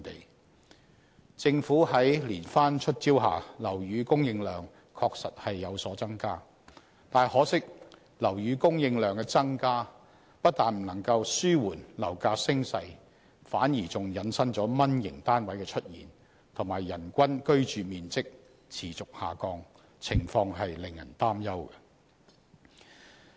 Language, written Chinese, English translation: Cantonese, 在政府連番"出招"下，樓宇供應量確實有所增加，但很可惜，樓宇供應量增加不但無法紓緩樓價升勢，反而引申"蚊型"單位的出現，以及人均居住面積持續下降，情況令人擔憂。, With successive measures launched by the Government housing supply has indeed increased . But regrettably the increase in housing supply not only fails to arrest the upward trend of property prices but also leads to the emergence of mini flats as well as the declining average living space per person . The situation is worrying